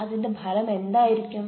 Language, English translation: Malayalam, what could be the outcome